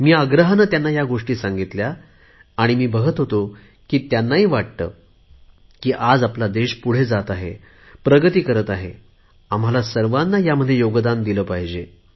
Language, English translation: Marathi, I stressed this upon them and I noticed that they too realized that today when the nation is surging ahead, all of us must contribute to it